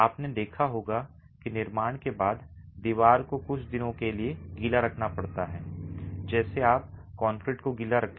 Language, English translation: Hindi, You must have seen after construction the wall has to be kept wet for a few days just like you would keep concrete wet